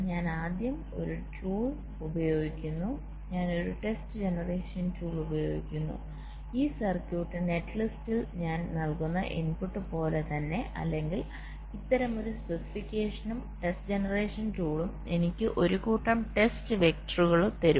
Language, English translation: Malayalam, first, i use a test generation tool where, just as the input i shall be providing with this circuit net list, let say, or this, some kind of specification, as i test generation tool will give me a set of test directors, t